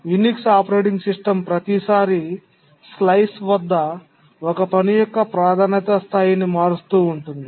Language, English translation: Telugu, The Unix operating system keeps on shifting the priority level of a task at every time slice